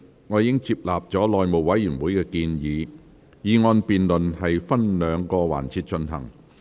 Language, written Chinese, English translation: Cantonese, 我已接納內務委員會的建議，議案辯論分兩個環節進行。, I have accepted the recommendation of the House Committee on dividing the motion debate into two sessions